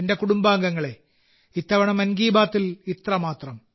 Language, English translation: Malayalam, My family members, that's all this time with mein 'Mann Ki Baat'